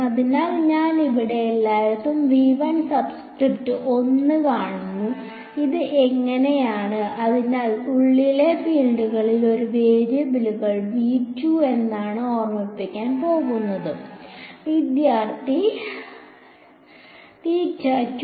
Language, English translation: Malayalam, So, far everywhere you see the subscript 1 over here so, this was so, so V 1 when we go to V 2 remember what was a variable for the fields inside V 2